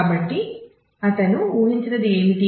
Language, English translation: Telugu, So, what he would have expected